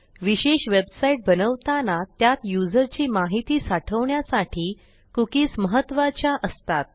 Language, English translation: Marathi, Cookies are a very important part when creating special websites where you store information about a user